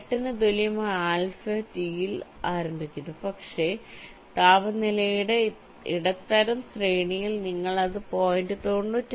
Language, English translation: Malayalam, you start with alpha t equal to point eight, but in the medium range of the temperature you make it point nine five